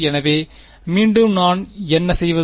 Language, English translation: Tamil, So, again what do I do